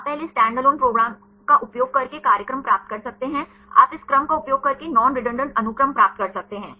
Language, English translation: Hindi, You can first get the program using the standalone program, you can get non redundant sequences using this sequence